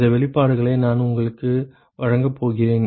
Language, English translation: Tamil, I am going to give you these expressions